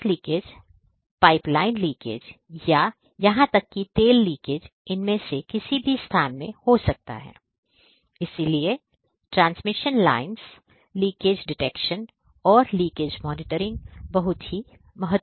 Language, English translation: Hindi, So, gas leakage, pipeline leakage or even the oil leakage might happen in any of the points in these transmission lines and so, leakage detection, leakage monitoring is also very important